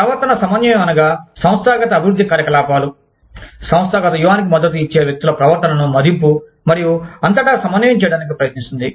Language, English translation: Telugu, Behavioral coordination deals with, appraisal and organizational development activities, that seek to coordinate behavior across, individuals to support the organizational strategy